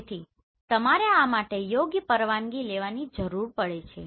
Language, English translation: Gujarati, So you need to have proper permission for this